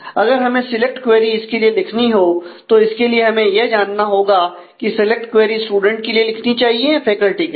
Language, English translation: Hindi, Now, if we have to write a select query for this we will need to know whether the select query should be written on the student or with the faculty